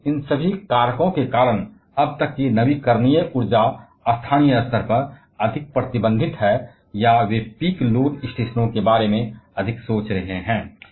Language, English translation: Hindi, And because of all these factors, the renewable energy till date are restricted more towards local scale, or they are more being thought about peak load stations